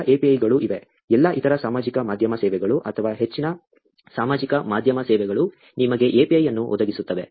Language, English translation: Kannada, There is other APIs also; all other social media services or majority of the social media services provide you with an API